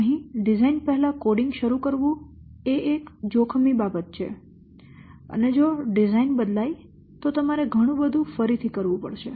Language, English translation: Gujarati, So, here starting the code before design, it's a risky thing and you have to redo so many works if the design changes